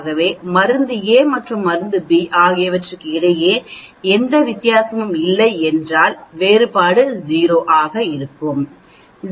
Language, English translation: Tamil, So the different should be 0, if there is no difference between in the drug A and drug B